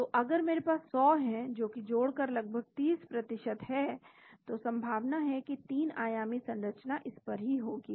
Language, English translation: Hindi, So if I have 100 adding it about 30% the chances are the 3 dimensional structure will be on this